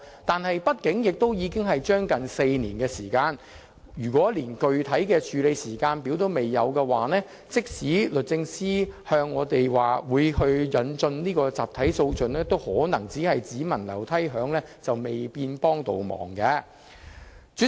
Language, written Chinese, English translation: Cantonese, 但是，畢竟已過了接近4年，如果連具體的處理時間表也仍然欠奉，即使律政司告訴我們會引進集體訴訟，可能也只聞樓梯響，未見得能有甚麼幫助。, But then four years have already passed so I do not think it is quite so good if not even a specific timetable is available . Even though the Department of Justice assures us of its intention of introducing a class action regime its assurance may just be empty talks and cannot be of any help